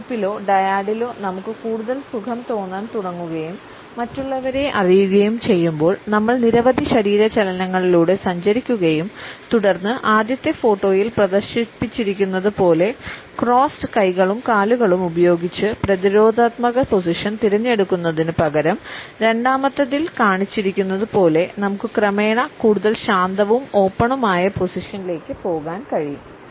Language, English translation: Malayalam, As we begin to feel more comfortable in a group or in a dyad and we get to know others, we move through a series of movements and then instead of opting for a defensive position with crossed arms and legs as a displayed in the first photograph, we can gradually move to a more relaxed and open position as is shown in the second one